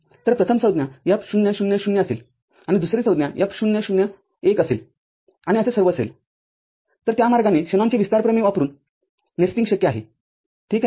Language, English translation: Marathi, So, the first term will be F 0 0 0, and second term will be F 0 0 1 and all, so that way what is known as nesting is possible using Shanon’s expansion theorem ok